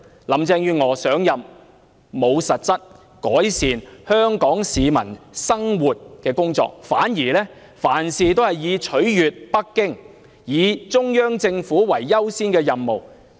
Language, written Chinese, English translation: Cantonese, 林鄭月娥上任後沒有進行實質改善香港市民生活的工作，反而凡事皆以取悅北京中央政府為優先任務。, Since Carrie LAM took office she has done nothing that can bring about actual improvement in peoples livelihood . On the contrary she has given priority to pleasing the Central Government in Beijing in all aspects